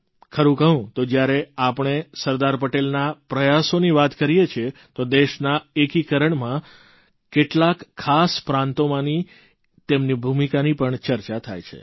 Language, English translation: Gujarati, Actually, when we refer to Sardar Patel's endeavour, his role in the unification of just a few notable States is discussed